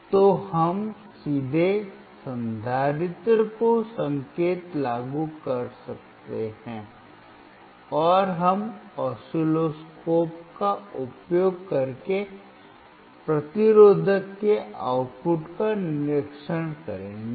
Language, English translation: Hindi, So, we can directly apply the signal to the capacitor, and we will observe the output across the resistor using the oscilloscope